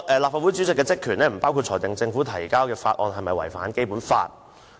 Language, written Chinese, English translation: Cantonese, "立法會主席的職權亦不包括裁定政府提交的法案是否違反《基本法》"。, The President has also stated that the power of the President of the Legislative Council does not include determining whether a bill introduced by the Government has contravened the Basic Law